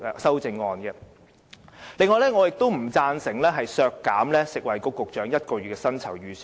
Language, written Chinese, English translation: Cantonese, 此外，我亦不贊成削減食物及衞生局局長1個月薪酬預算開支。, Besides I am against the deduction of one months salary for the Secretary for Food and Health